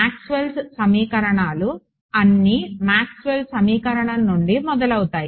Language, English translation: Telugu, Maxwell's equations everything starts from Maxwell’s equation right